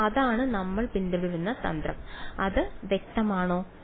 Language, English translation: Malayalam, So, that is the strategy that we will follow is it clear